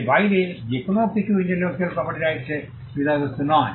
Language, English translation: Bengali, Anything beyond this is not the subject purview of an intellectual property right